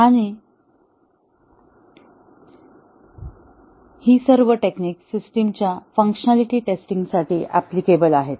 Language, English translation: Marathi, And, all these techniques are applicable here for the functionality testing of a system